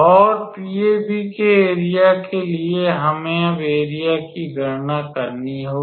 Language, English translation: Hindi, And for area of PAB we have to now we will calculate the area individually